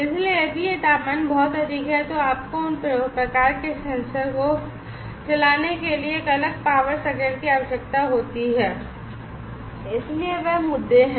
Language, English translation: Hindi, So, if this temperature is too high you need a separate power circuit to drive those kind of sensor so those are the issues